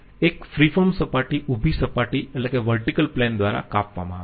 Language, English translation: Gujarati, A free form surface is cut by a vertical plane